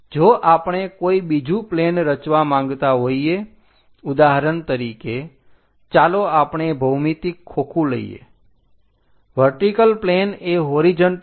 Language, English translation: Gujarati, If we want to construct any other plane, for example, let us pick the geometry box vertical plane is 90 degrees with the horizontal